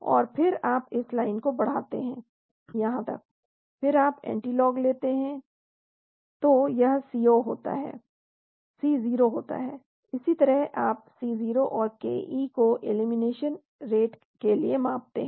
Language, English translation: Hindi, And then you extend this line up right up to that , then you take antilog then that becomes the C0, this is how you measure C0 and ke for the elimination side